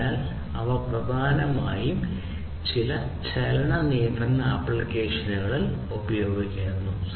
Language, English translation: Malayalam, So, these are primarily used in motion control applications